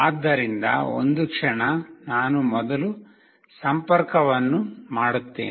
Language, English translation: Kannada, So, just a second I will just make the connection first